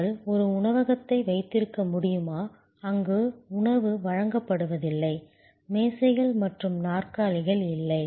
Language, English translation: Tamil, Can we have a restaurant, where no food is served, there are no tables and chairs